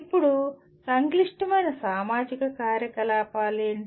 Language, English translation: Telugu, Now what are complex engineering activities